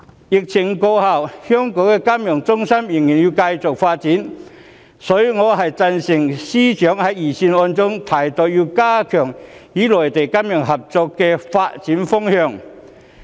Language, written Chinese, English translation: Cantonese, 疫情過後，香港作為金融中心仍然要繼續發展，所以我贊成司長在預算案中提到的要加強與內地金融合作的發展方向。, They can be called the financial desert . When the epidemic is over Hong Kong as a financial centre still has to continue with its development . Hence I agree that strengthening financial cooperation with the Mainland should be the direction for development as proposed by the Financial Secretary in the Budget